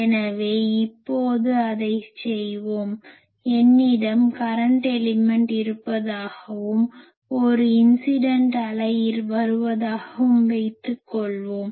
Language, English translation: Tamil, So, let us do it now so, fine suppose I have a current element and, there is a incident wave coming